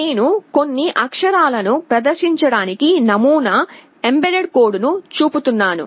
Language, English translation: Telugu, And I am showing a sample mbed code to display some characters